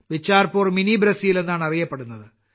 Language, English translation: Malayalam, Bicharpur is called Mini Brazil